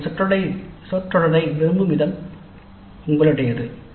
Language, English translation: Tamil, The way you want to phrase it is up to you